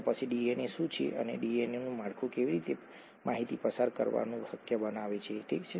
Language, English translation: Gujarati, So how is, what is DNA and how , how does the structure of the DNA make it possible for information to be passed on, okay